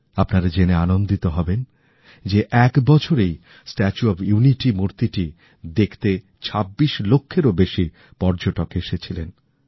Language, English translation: Bengali, You will be happy to note that in a year, more than 26 lakh tourists visited the 'Statue of Unity'